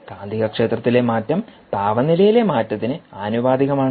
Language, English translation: Malayalam, ok, and change in magnetic field is proportional to change in temperature